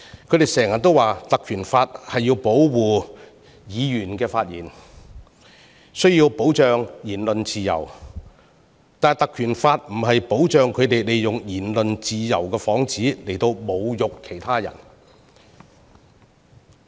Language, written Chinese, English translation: Cantonese, 他們經常說《立法會條例》旨在保護議員的發言，需要保障言論自由，但《條例》並非保障他們以言論自由的幌子侮辱他人。, They always say that the Legislative Council Ordinance seeks to protect the speeches made by Members given the need to protect freedom of speech but the Ordinance does not serve as a shield for them to insult others under the guise of freedom of speech